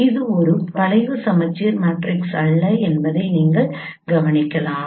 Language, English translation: Tamil, So you see that this is a scheme symmetric matrix